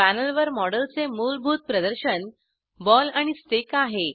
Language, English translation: Marathi, The default display of the model on the panel is of ball and stick